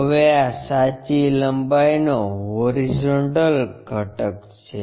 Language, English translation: Gujarati, Now, this is a horizontal component of true length